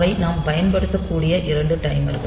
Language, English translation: Tamil, So, they are the 2 timers that we can use